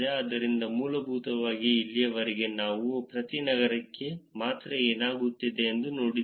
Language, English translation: Kannada, So, essentially until now we only saw per city what is happening